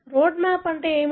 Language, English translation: Telugu, What is the road map